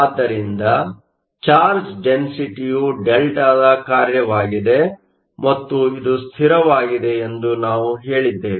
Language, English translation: Kannada, So, we just said that the charged density is a delta function and it is a constant